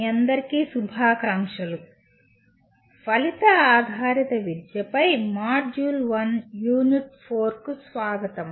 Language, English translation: Telugu, Greetings to all of you and welcome to the Module 1 Unit 4 on Outcome Based Education